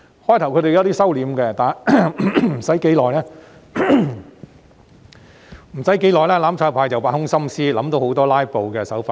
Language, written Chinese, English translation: Cantonese, 他們在一開始時收斂了一點，但沒有多久後，"攬炒派"便挖空心思，想到很多"拉布"的手法。, The mutual destruction camp showed some restraint at the beginning but very soon they racked their brains to come up with different filibustering tactics